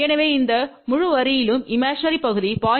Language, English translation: Tamil, So, along this entire line the imaginary part remains 0